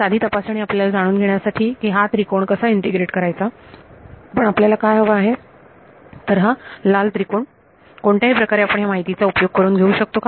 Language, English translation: Marathi, Simple check we know how to integrate this triangle, but what we want is this red triangle can we make use of this information somehow